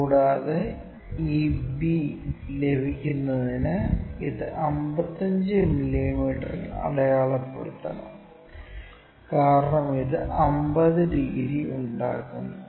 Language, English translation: Malayalam, And, it has to mark at 55 mm to get this b ', because this makes 50 degrees